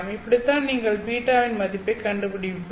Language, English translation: Tamil, That's how you would find the value of beta